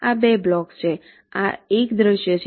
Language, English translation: Gujarati, these are two blocks